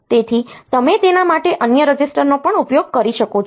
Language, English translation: Gujarati, So, you can also use other registers for that